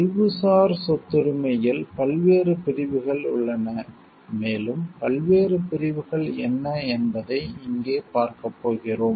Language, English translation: Tamil, There are different categories of intellectual property right, and we are going to see them over here like what are the different categories